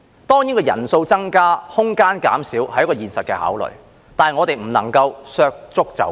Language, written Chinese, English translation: Cantonese, 當然，人數增加，空間減少，這是一個現實的考慮，但我們不能削足就履。, Of course the increase in the number of Members and the decrease in space is a practical consideration but we should not trim our toes to fit the shoes